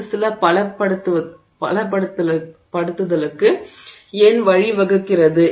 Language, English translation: Tamil, Now, why does that lead to some strengthening